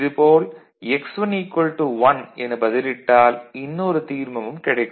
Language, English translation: Tamil, Similarly, if you put x1 is equal to 1, you will get the other term ok